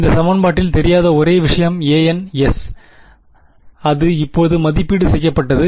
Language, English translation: Tamil, In this equation the only thing unknown was a ns which I have evaluated now